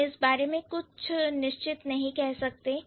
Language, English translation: Hindi, We are not sure about it